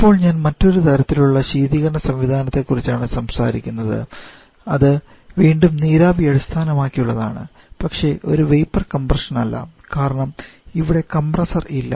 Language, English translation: Malayalam, Now today I shall be talking about another kind of refrigeration system, which is again vapour best but not a vapour compression one because there is no compressor at all